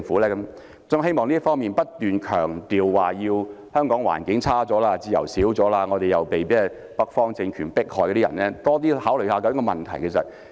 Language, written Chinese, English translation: Cantonese, 所以，在這方面，我希望不斷強調香港環境差了、自由少了、我們被北方政權迫害的人可以多考慮問題。, Therefore in this regard I cannot stress too much that although Hong Kong has experienced a deterioration of environment and a decline in freedom those persecuted by the northern regime may take a deeper look at the problems because all things are interconnected